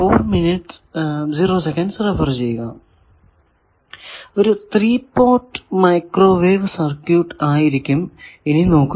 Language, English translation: Malayalam, So, 3 port microwave circuit that is now we will see